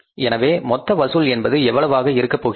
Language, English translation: Tamil, Total collections here are going to be how much